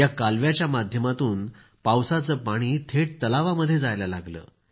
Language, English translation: Marathi, Through this canal, rainwater started flowing directly into the lake